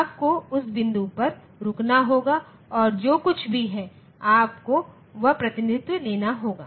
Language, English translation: Hindi, You have to stop at that point and whatever it is, you have to take that representation